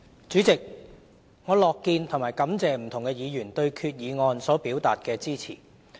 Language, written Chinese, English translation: Cantonese, 主席，我樂見和感謝不同的議員對決議案所表達的支持。, President I am happy to see and also grateful for the support expressed by Members for the resolution